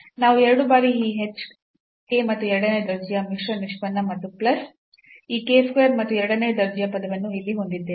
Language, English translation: Kannada, So, we have the two term 2 times this h k and the second order mixed order derivative and plus this k square and the second order term here, and then we can compute the third order term as well